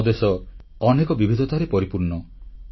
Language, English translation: Odia, Our country is full of such myriad diversities